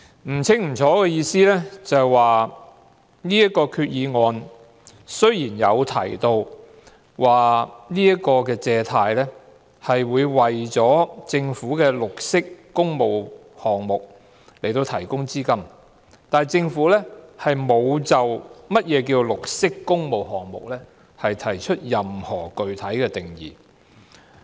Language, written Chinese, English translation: Cantonese, 不清不楚的意思是這項決議案雖然提到，借款目的是為政府的綠色工務項目提供資金，但政府沒有就何謂綠色工務項目提出任何具體定義。, In saying this I mean albeit it is mentioned in the proposed resolution that the purpose of making borrowings is to provide funding for green public works projects of the Government the Government has not spelt out any specific definition of green public works projects . According to the paper provided by the Financial Services and the Treasury Bureau ie